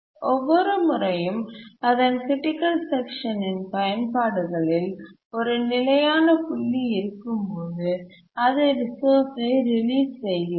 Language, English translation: Tamil, Each time there is a consistent point in its uses of critical section, it just releases the resource